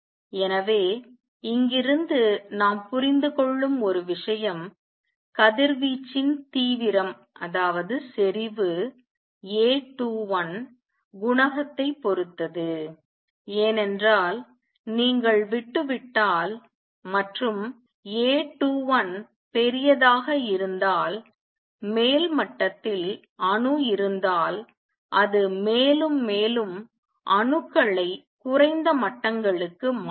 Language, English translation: Tamil, So, one thing we understand from here is number one that the intensity of radiation will depend on A 21 coefficient because if you leave and atom in the upper level it will make more and more atoms will make transition to lower levels if A 21 is larger